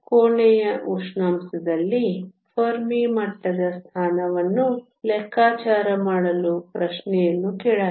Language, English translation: Kannada, The question also asked to calculate the position of the Fermi level at room temperature